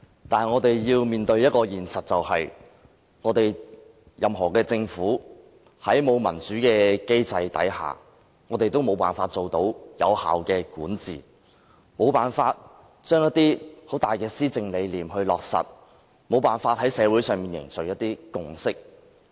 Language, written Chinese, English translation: Cantonese, 但我們要面對的一個現實是，在沒有民主的制度下，任何政府也無法達致有效管治、無法落實一些重大的施政理念，以及無法凝聚社會共識。, But I think we really need to face the reality that without a democratic system no government will ever be able to govern effectively to implement any significant policy convictions and to forge any social consensus